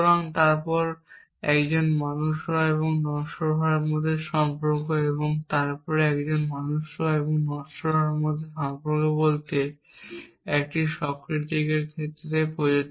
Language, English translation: Bengali, And then relation between being man and being mortal and then to say the same relation between being man and being mortal this is applied to Socrates, because Socrates happen to be a man